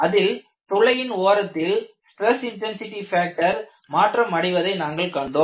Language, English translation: Tamil, We had seen the variation of stress intensity factor on the boundary of the hole